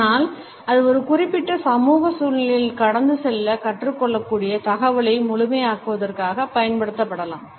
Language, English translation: Tamil, But it can also be used in an intentional manner in order to complement the communication it can also be learnt to pass on in a particular social situation